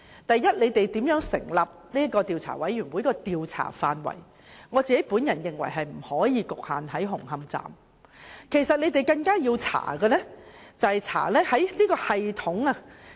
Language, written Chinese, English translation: Cantonese, 第一，我認為政府調查委員會的調查範圍，不應局限於紅磡站工程，更應調查的是有關系統。, First I think the scope of the Commissions inquiry should not be confined to the construction works at Hung Hom Station but the entire system